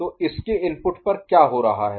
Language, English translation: Hindi, So, what is happening at the input of it